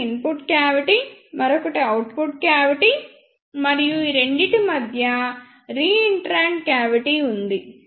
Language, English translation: Telugu, One is input cavity, another one is output cavity and and between these two there is a reentrant cavity